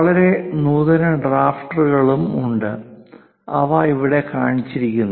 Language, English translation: Malayalam, Most sophisticated drafters are also there, and those are shown here